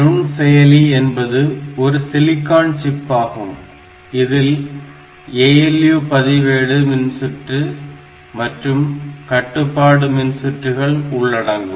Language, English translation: Tamil, So, it is a silicon chip which includes ALU registers circuits and control circuits